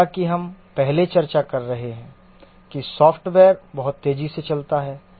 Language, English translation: Hindi, As we were discussing earlier that the software runs very fast